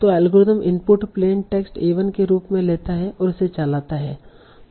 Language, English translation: Hindi, So algorithm takes A1 as input, plain text and runs this